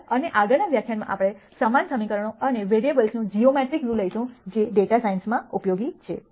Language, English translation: Gujarati, Thank you and in the next lecture we will take a geometric view of the same equations and variables that is useful in data science